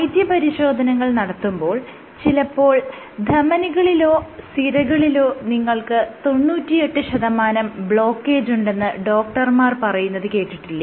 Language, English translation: Malayalam, When you do these tests, doctors say that you have 98 percent blockage in arteries or veins so on and so forth